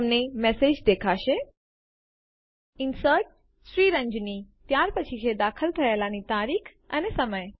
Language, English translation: Gujarati, You will see the message Inserted Ranjani: followed by date and time of insertion